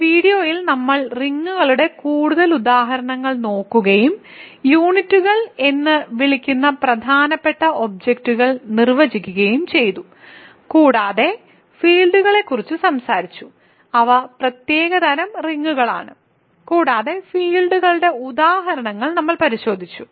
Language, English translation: Malayalam, I will in this video we looked at more examples of rings and I defined important objects called units, and I talked about fields, which are special kinds of rings and we looked at examples of fields